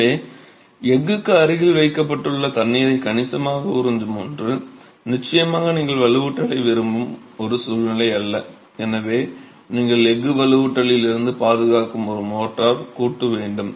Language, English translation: Tamil, So, something that absorbs water significantly placed close to steel is definitely not something that you, a situation that you want to create and hence you need a motor joint that protects the steel from reinforcement